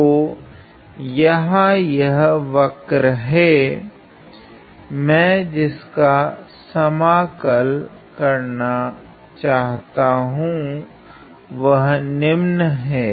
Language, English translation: Hindi, So, the curve here that, I want to integrate is the following